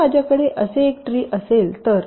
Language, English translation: Marathi, suppose if i have a tree like this